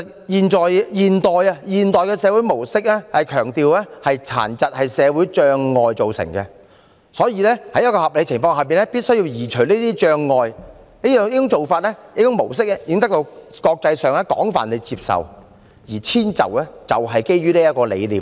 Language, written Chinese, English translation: Cantonese, 現代社會模式強調殘疾是社會障礙造成，所以在合理情況下必須移除障礙，這種模式已得到國際廣泛接受，而遷就是基於這個理念。, The modern social model of disabilities emphasizes that barriers in society are the cause of disabilities and they should be removed where reasonable . This model is internationally accepted and accommodation is based on this concept